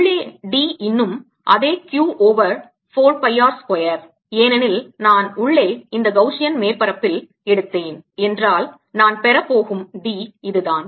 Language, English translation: Tamil, d inside is still the same: q over four pi r square, because if i take this gaussian surface inside, this is a d i am going to get